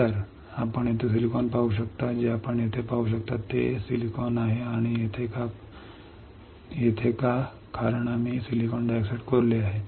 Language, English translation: Marathi, So, you can see here silicon right what you can see here is silicon here and here why because we have etched the silicon dioxide